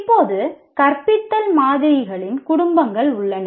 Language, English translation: Tamil, Now, there are families of teaching models